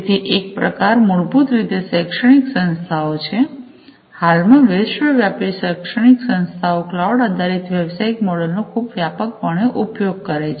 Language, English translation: Gujarati, So, one type is basically the educational institutions; so presently worldwide, educational institutions use these cloud based business model quite extensively